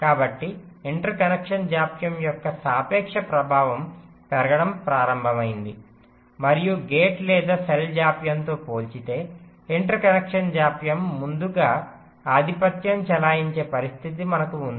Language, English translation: Telugu, so the relative impact of the interconnection delays started to increase and today we have a situation where the interconnection delay is becoming pre dominant as compare to the gate or cell delays